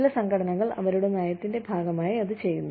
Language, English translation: Malayalam, Some organizations, anyway, do it as, part of their policy